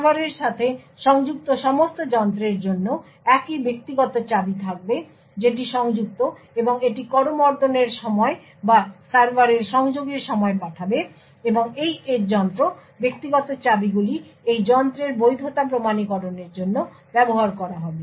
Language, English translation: Bengali, The server would also, have the same private keys for all the devices that is connected to and it would send, during the handshake or during the connection between the server and this edge device, the private keys would be used to authenticate the validity of this device